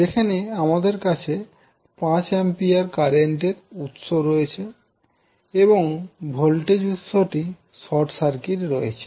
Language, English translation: Bengali, Here you have 5 ampere current source back in the circuit and the voltage source is short circuited